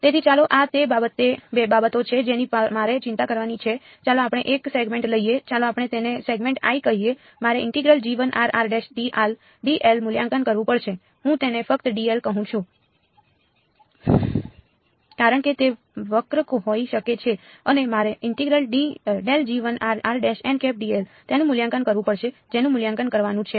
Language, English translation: Gujarati, So, let us so, these are the things that I have to worry about let us take a segment let us call it segment i, I have to evaluate g 1 r r prime d r or I just call it d l because it may be curved and I have to evaluate grad g 1 r r prime n hat d l that is what I have to evaluate